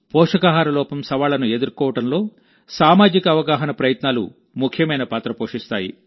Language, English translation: Telugu, Efforts for social awareness play an important role in tackling the challenges of malnutrition